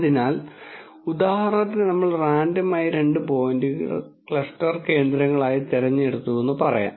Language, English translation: Malayalam, So, for example, let us say we randomly choose two points as cluster centres